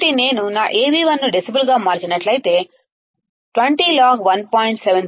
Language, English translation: Telugu, If I convert my Av2 into decibels, I will have 20 log 4